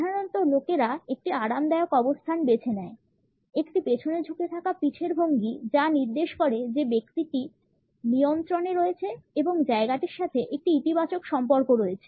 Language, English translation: Bengali, Normally people opt for a relax position, a leaned back posture which indicates that the person is in control, has a positive association with the place